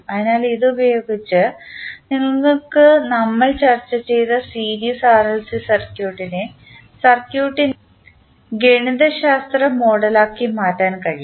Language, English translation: Malayalam, So, in this way using this you can transform the series RLC circuit which we discussed into mathematical model of the circuit